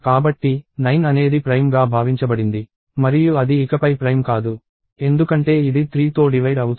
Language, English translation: Telugu, So, 9 was assumed to be prime and it is not prime anymore, because it is divisible by 3